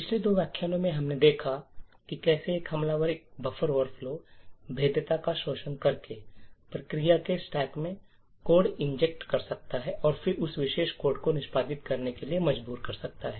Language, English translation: Hindi, In the previous two lectures what we have seen was how an attacker could inject code in the stack of another process by exploiting a buffer overflow vulnerability and then force that particular code to execute